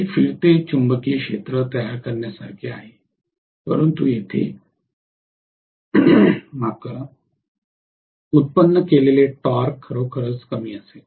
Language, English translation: Marathi, So it is like creating a revolving magnetic field but here the torque generated will be really really low